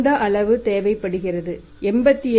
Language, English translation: Tamil, And this much is required 87